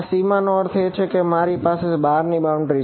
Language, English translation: Gujarati, No boundary I mean the outermost boundary